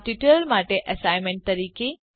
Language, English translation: Gujarati, As an assignment for this tutorial